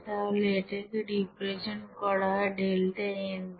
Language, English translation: Bengali, So it is represented by delta n